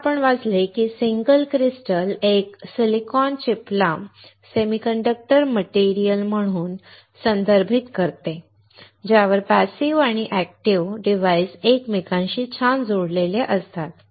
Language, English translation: Marathi, Here we have read, the single crystal refers to a single silicon chip as the semiconductor material on which passive and active components are interconnected nice